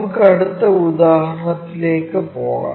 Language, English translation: Malayalam, With that, let us move on to the next example